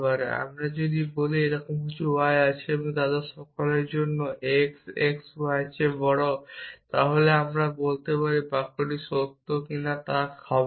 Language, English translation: Bengali, So, if I say something like this for all x; x greater than y now this is not a sentence